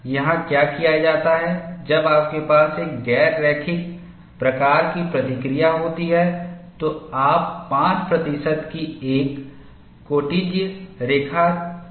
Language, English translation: Hindi, What is then here is, when you have a non linear type of response, you draw a 5 percent secant line